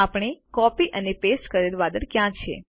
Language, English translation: Gujarati, Where is the cloud that we copied and pasted